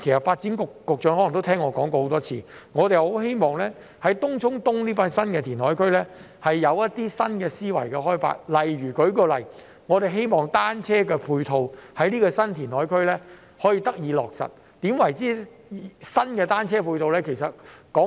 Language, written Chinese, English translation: Cantonese, 發展局局長可能也聽我說過很多次，我們很希望政府在開發東涌東這個新填海區時有新的思維，例如我們希望可以在這個新填海區落實新的單車配套。, The Secretary for Development has probably heard me talk about it many times . We very much hope that the Government will adopt new mindsets when developing this new reclaimed area in Tung Chung East . For instance we hope that new ancillary facilities for cycling can be developed in this new reclaimed area